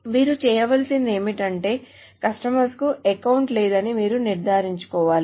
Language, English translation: Telugu, So what then you need to do is you need to ensure that the customer doesn't have an account